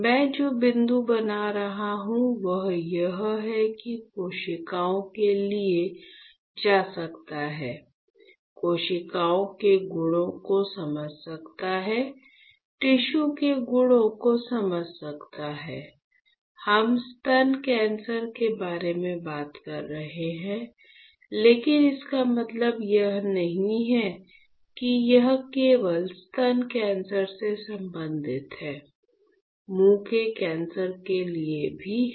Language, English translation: Hindi, So, the point that I am making is, that you can go for cells, you can understand the properties of cells, you can understand properties of tissue; we are talking about breast cancer, but that does not mean that this is only related to breast cancer, you can go for oral cancer